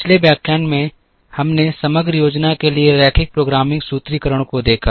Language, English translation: Hindi, In the previous lecture, we saw the linear programming formulation for aggregate planning